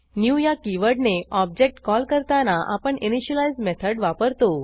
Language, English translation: Marathi, On calling new on an object, we invoke the initialize method